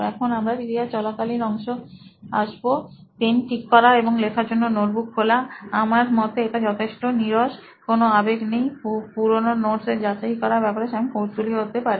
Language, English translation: Bengali, Now let us get into the ‘During’ part, set up his pen and open his book to write, I think it is pretty bland, no emotion; Verification of previous notes, maybe a curious Sam